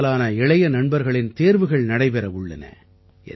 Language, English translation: Tamil, Most of the young friends will have exams